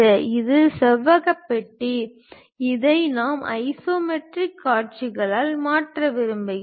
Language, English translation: Tamil, This is the rectangular box, what we would like to really change it into isometric views